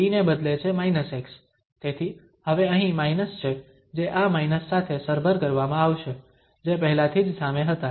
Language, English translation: Gujarati, The t is replaced by minus x so there is minus here now which will be compensated with this minus which was already at front there